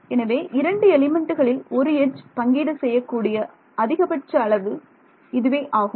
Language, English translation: Tamil, So, this is the maximum that an edge can be shared by is; obviously, by 2 elements right